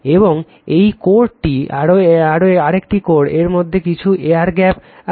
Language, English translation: Bengali, And this one core, this is another core in between some air gap is there